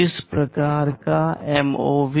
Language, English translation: Hindi, What kind of MOV